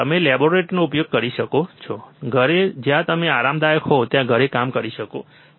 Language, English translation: Gujarati, You can use at laboratory, home you can work at home wherever you are comfortable